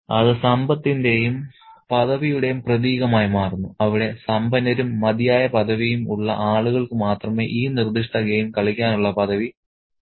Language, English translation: Malayalam, It becomes a symbol of wealth and privilege where only the people who are rich and privileged enough can, you know, enjoy the privilege of playing this particular game